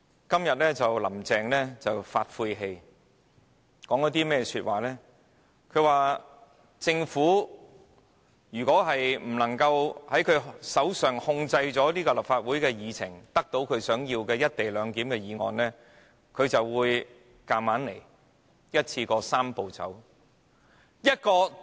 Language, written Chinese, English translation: Cantonese, 今天，"林鄭"說了些晦氣話，表示如果她無法令政府控制立法會的議程，得到她想要的"一地兩檢"議案，她便會硬來，一口氣完成"三步走"。, Today Carrie LAM has made a remark in the fit of a pique that if she does not manage to bring the Agenda of the Legislative Council under the control of the Government and get the co - location motion passed as she wishes she will kick - start the Three - step Process concurrently